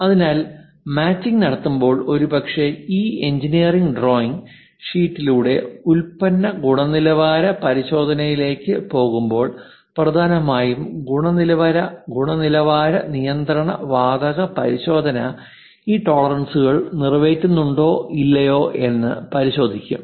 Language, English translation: Malayalam, So, when machining is done and perhaps product comes out through this engineering drawing sheet, when it goes to quality check mainly quality control gas check whether this tolerances are met or not for that object